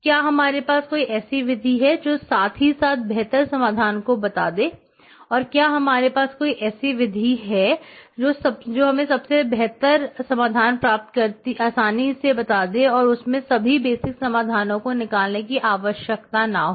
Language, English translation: Hindi, do we have a method that progressively evaluates better solutions and do we have a method that can stop and tell us that the best solution has been obtained even before evaluating all possible basic solutions